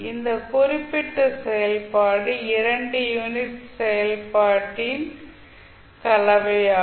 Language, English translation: Tamil, So you can say that this particular function is combination of two unit step function, how